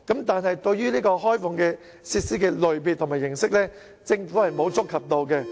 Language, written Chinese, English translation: Cantonese, 但是，對於開放設施的類別和形式，政府並沒有觸及。, However the Government does not touch upon the types of facilities to be opened up and the mode of opening up such facilities